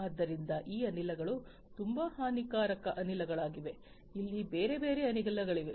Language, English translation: Kannada, So, these gases are very harmful gases like this there are different other gases that are there